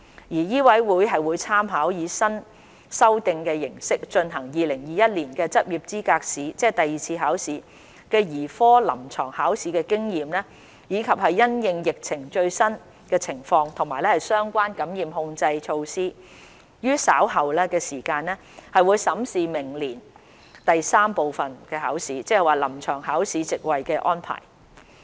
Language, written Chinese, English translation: Cantonese, 醫委會會參考以新修訂形式進行的2021年執業資格試兒科臨床考試的經驗，以及因應疫情的最新情況及相關的感染控制措施，於稍後時間審視明年第三部分：臨床考試席位的安排。, MCHK will consider later on the capacity arrangement for Part III―The Clinical Examination next year in the light of the experience with the Paediatrics Clinical Examination under the revised format in the 2021 LE the latest epidemic situation and relevant infection control measures